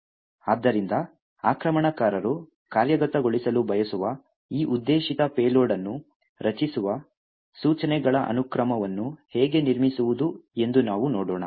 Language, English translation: Kannada, So, let us look at how we go about building a sequence of instructions that creates this particular target payload that the attacker would want to execute